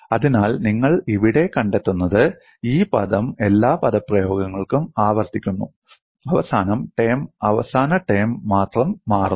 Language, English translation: Malayalam, So, what you find here is this term gets repeated for all the expressions; only the last term changes